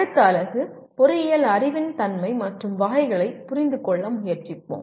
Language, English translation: Tamil, And in the next unit, we will try to understand the nature and categories of engineering knowledge